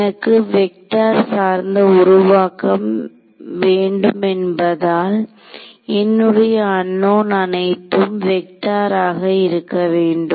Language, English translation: Tamil, I said I wanted to do a vector based formulation; that means, my unknowns wanted needed to be vectors